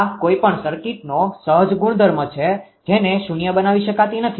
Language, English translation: Gujarati, This is the inherent property of the circuit this cannot be made to 0, right